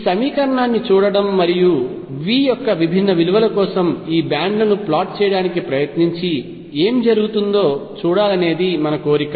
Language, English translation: Telugu, What our urge to do is look at this equation and try to plot these bands for different values of V and see what happens